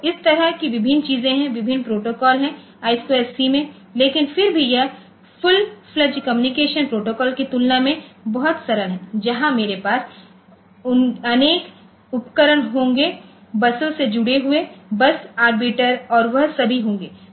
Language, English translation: Hindi, So, there are various such things are there various protocols are there in I square C, but still it is much much simpler compared to full fledged communication protocol where I will have number of devices hanging from buses there will be bus arbiter and all those